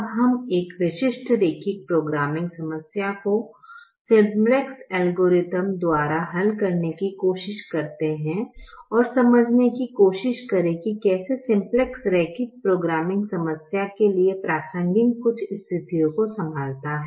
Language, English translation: Hindi, we now try to solve a specific linear programming problem by the simplex algorithm and try to understand how simplex handles certain situations relevant to the linear programming problem